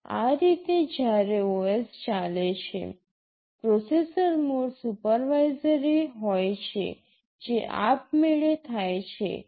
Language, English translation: Gujarati, Normally when the OS executes, the processor mode is supervisory, that automatically happens